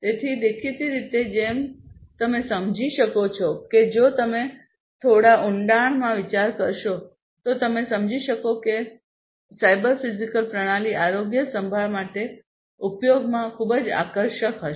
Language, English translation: Gujarati, So, obviously, as you can understand if you think a little bit in deep you will be able to realize that cyber physical systems will be very attractive of use for healthcare, right